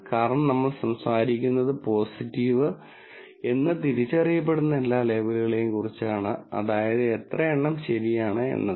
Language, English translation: Malayalam, Because we are talking about all the labels that are identified are as positive that is, this number of which how many are true